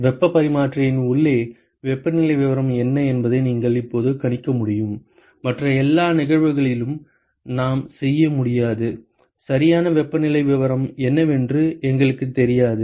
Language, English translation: Tamil, You are able to now predict what is the temperature profile inside the heat exchanger; which we cannot do on all the other cases, we do not know what is the exact temperature profile